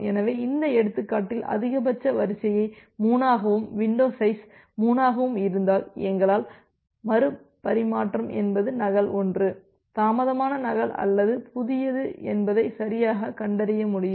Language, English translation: Tamil, So, you can see here in this example that with maximum sequence as 3 and window size as 3, we will be able to correctly find out that whether retransmission is a duplicate one, is a delayed duplicate or a new one